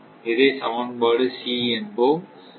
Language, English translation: Tamil, This is equation D